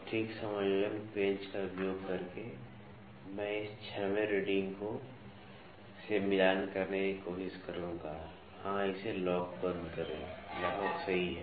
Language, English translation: Hindi, So, using fine adjustment screw, I will try to match this 6th reading yeah lock it so, almost perfect